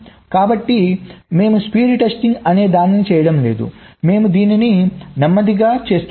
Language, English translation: Telugu, so we are not doing something called at speed testing, we are doing it in a slower rate